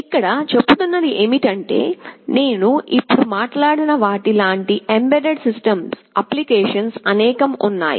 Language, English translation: Telugu, What we are saying is that there are many embedded system applications like the one I just now talked about